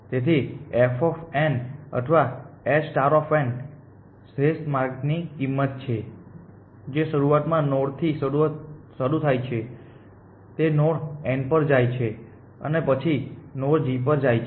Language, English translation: Gujarati, So, this f of n is basically or S star of n is the optimal the cost of optimal path that starts with the start node goes to node n and then goes to the node g